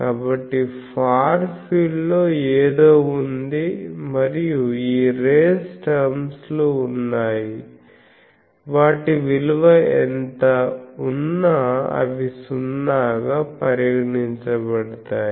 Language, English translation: Telugu, So, there are something and this race terms in the far field, we can say whatever be their value they will go to 0